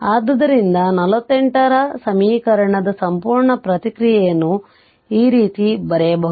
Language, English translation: Kannada, So, the complete response of equation 48 may be written as this can be written as something like this